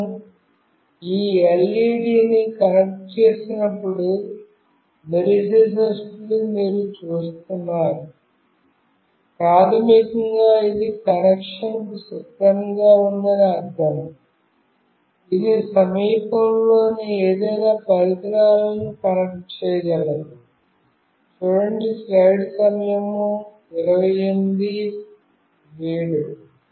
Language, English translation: Telugu, You see when I connect this LED is blinking, basically this means that it is ready for connection, it can connect to any nearby devices